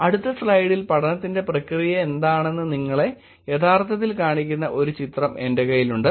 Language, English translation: Malayalam, Next slide I also have a image to actually show you what was the process of the study